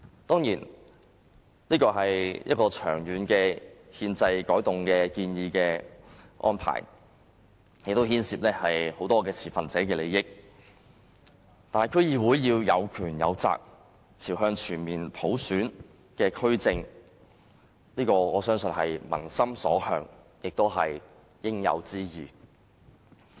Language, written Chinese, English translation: Cantonese, 當然，這是長遠的憲制安排改動，亦牽涉眾持份者的利益，但區議會有權有責，朝向全面普選發展，我相信這是民心所向，亦是應有之義。, Of course it means long - term changes to the constitutional arrangements and involves the interests of stakeholders . But I believe DCs should be endowed with both powers and responsibilities and develop towards complete universal suffrage . I believe it is the peoples common wish and also a righteous duty